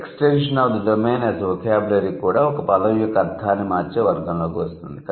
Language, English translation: Telugu, So, the extension of the domain as a vocabulary is also coming under the category of changing the meaning of a word